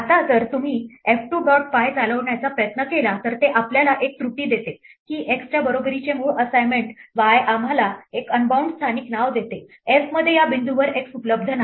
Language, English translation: Marathi, Now if you try to run f 2 dot py, then it gives us an error saying that the original assignment y equal to x gives us an unbound local name there is no x which is available at this point inside f